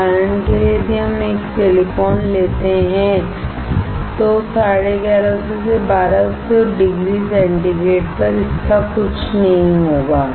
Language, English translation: Hindi, For example, if we take a silicon, nothing will happen to it at 1150 to 1200 degree centigrade